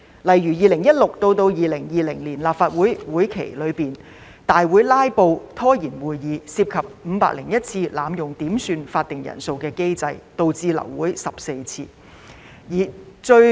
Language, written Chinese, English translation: Cantonese, 例如，在2016年至2020年立法會會期中，有議員在大會"拉布"，涉及501次濫用點算法定人數機制，導致流會14次。, For example during the term of the Legislative Council from 2016 to 2020 Members filibusters in the Council meetings involved an abuse of 501 quorum calls leading to abortion of 14 meetings